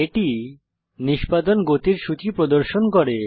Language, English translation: Bengali, It shows a list of execution speeds